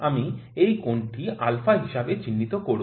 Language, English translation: Bengali, I call this angle as alpha